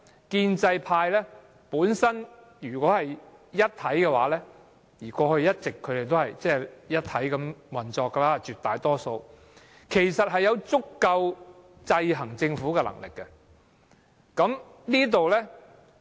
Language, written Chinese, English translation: Cantonese, 建制派如果是一體地運作——他們過去絕大部分時候也是這樣——其實有足夠能力制衡政府。, If pro - establishment Members operate in an integrated manner as what they did most of the time in the past they actually have sufficient power to keep the Government in check